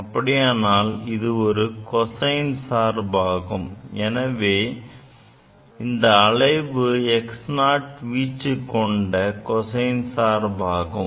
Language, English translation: Tamil, That means, it will be cosine function; this oscillation is basically cosine function with the amplitude of x 0, right